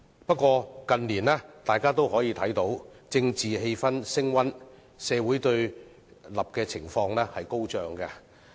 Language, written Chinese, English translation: Cantonese, 不過，大家近年都看到政治氣氛升溫，社會對立情況高漲。, However everyone can see that the political atmosphere is getting tenser with social polarization running high in recent years